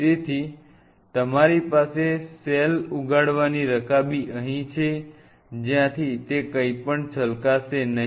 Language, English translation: Gujarati, So, you have cell growing dish out here from where they are won’t be anything will spill over